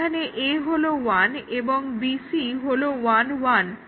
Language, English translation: Bengali, The third one, A is 1 and BC are 0 1